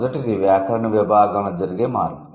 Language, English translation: Telugu, The first one is change in the grammatical category